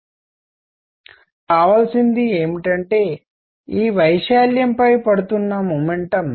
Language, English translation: Telugu, So, what I will need now is the momentum that is falling on this area